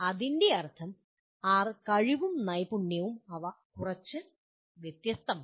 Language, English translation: Malayalam, What it means is capability and competency they are somewhat different